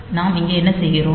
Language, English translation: Tamil, So, what are we doing here